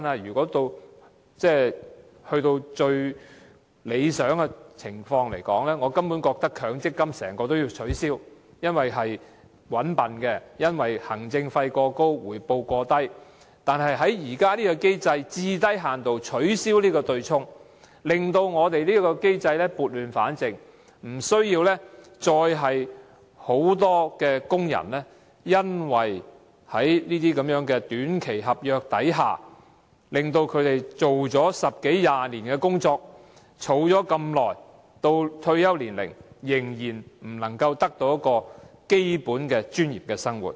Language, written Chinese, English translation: Cantonese, 以最理想的情況來說，我根本認為整個強積金制度也要取消，因為這制度"搵笨"、行政費過高及回報過低，但現在最低限度要取消對沖機制，撥亂反正，不要再讓大量工人因為在短期合約下工作了十多二十年，儲蓄了這麼久，到退休時仍然不能得到保障，過具最基本尊嚴的生活。, Most ideally I think the whole MPF System should be abolished for this is a system that fools people with excessively high administrative fees and low returns . Today we should at least right the wrong by abolishing the offsetting mechanism so as to avoid the situation in which a large number of short - term contract workers having working for 10 to 20 years and contributing for a long time still fail to get protection and enjoy a basically dignified life after retirement